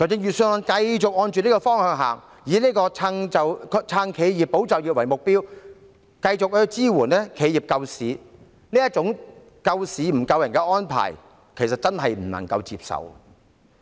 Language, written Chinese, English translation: Cantonese, 預算案繼續朝這個方向走，以"撐企業、保就業"為目標，繼續支援企業救市，這種救市不救人的安排，真的不能夠接受。, The Budget continued to go in this direction aiming to support enterprises and safeguard jobs giving continual support for enterprises to rescue the market . Such an arrangement for rescuing the market instead of the people was indeed unacceptable